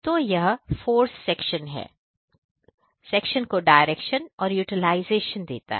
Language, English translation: Hindi, So, this gives us the force section to direction as well as utilization